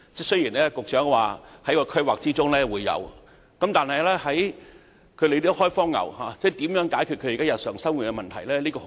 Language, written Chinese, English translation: Cantonese, 雖然局長說在規劃中會有這些設施，但如何解決"開荒牛"現時日常生活的問題？, Although the Secretary said that these facilities will be included in the planning what will the Government do to address the problems currently faced by these pioneers in their daily living?